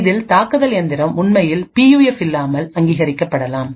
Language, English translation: Tamil, In this may be attacker machine can get authenticated without actually having a PUF